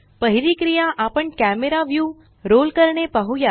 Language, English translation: Marathi, The first action we shall see is to roll the camera view